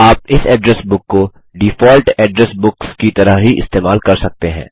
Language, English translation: Hindi, You can use this address book in the same manner you use the default address books